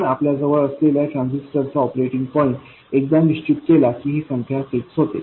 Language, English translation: Marathi, Once you have a transistor and you decide its operating point, this number is fixed